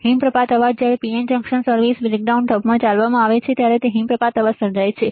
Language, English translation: Gujarati, Avalanche noise is created when a PN junction is operated in the reverse breakdown model all right